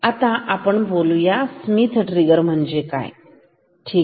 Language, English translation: Marathi, Let us now talk about what is Schmitt trigger ok